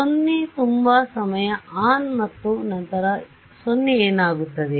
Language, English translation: Kannada, 0 for so much time, then on and then 0 what will happen